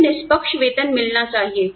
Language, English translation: Hindi, I should get fair pay